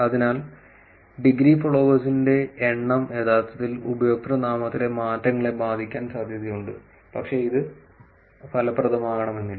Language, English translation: Malayalam, So, there may be a chance that the number of in degree followers is actually affecting the username changes, but it may not also be effective